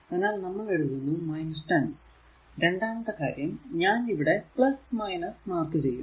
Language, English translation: Malayalam, So, we will write minus 10 then second thing is that we have not marked here plus minus